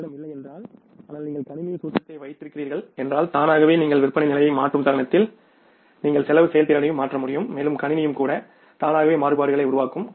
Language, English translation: Tamil, So, if you don't have but you have the formal in the system automatically the moment you change the sales level you will be able to change the cost performance also and even the system itself will automatically work out the variances